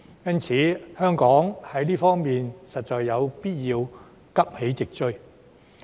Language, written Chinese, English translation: Cantonese, 因此，香港在這方面實有必要急起直追。, Therefore it is necessary for Hong Kong to rouse itself to catch up in this regard